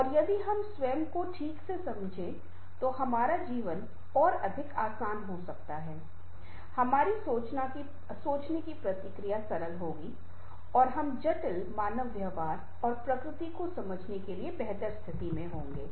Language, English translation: Hindi, if we understand properly, then our life might be more meaningful, more easier, our thinking process will be simpler and will be in a better position to understand the complex human behavior and nature